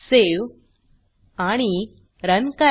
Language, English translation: Marathi, Save it Run